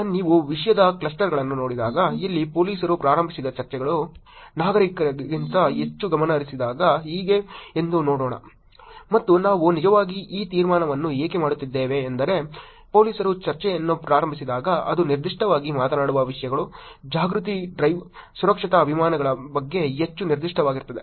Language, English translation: Kannada, Now, when you look at the Clusters of Topic, here when police initiated discussions are more focused than citizen initiated, let us see how; and why we are actually making this conclusion which is, when police starts the discussion it is more specific about topics, awareness drive, safety campaigns which is specifically talking about